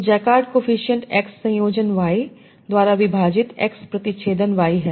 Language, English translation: Hindi, So, jacard coefficient is x intersection y divided by x union y